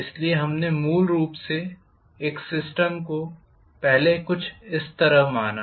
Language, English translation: Hindi, So we considered basically a system somewhat like this